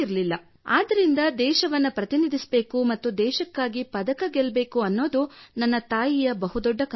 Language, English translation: Kannada, Hence my mother had a big dream…wanted me to represent the country and then win a medal for the country